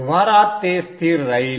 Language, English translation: Marathi, In practice, it will be constant